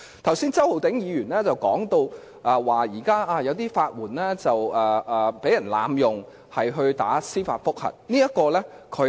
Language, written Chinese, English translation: Cantonese, 剛才周浩鼎議員提到現時有人濫用法援進行司法覆核的法律程序。, Earlier on Mr Holden CHOW said that the system was abused by some people who applied for legal aid to initiate judicial review proceedings